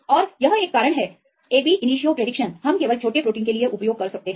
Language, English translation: Hindi, And this is a reason ab initio prediction we can use only for small proteins